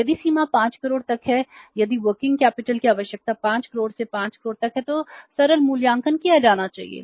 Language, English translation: Hindi, If the limit is up to 5 crores if the working capital requirement is of the 5 croix up to 5 crores then the simple assessment should be done